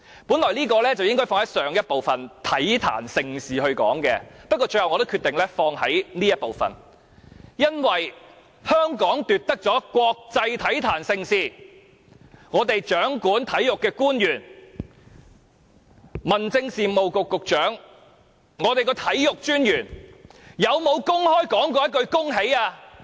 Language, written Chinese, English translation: Cantonese, 本來這應放在上一部分體壇盛事中談論，不過，我最後決定放在這部分談論，因為香港奪得國際體壇盛事，而香港掌管體育的官員，民政事務局局長和體育專員有否公開說一句恭喜？, Actually I should have discussed this in the previous debate session on sports . But I have eventually decided to discuss it in this debate session because after Hong Kong has won the hosting right for this international sports event the Secretary for Home Affairs and the Commissioner for Sports who are in charge of Hong Kongs sports affairs have not even said a word of congratulations in public